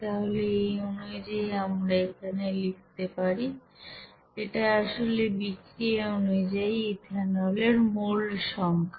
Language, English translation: Bengali, So according we can write here, it will be basically number of moles of that ethanol is according to this reaction is one